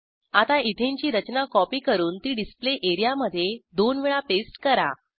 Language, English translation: Marathi, Let us copy the Ethane structure and paste it twice on the Display area